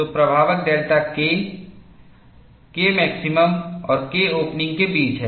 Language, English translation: Hindi, So, the effective delta k is between K max and K op